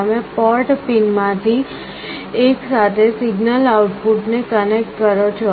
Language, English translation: Gujarati, You connect the signal output to one of the port pins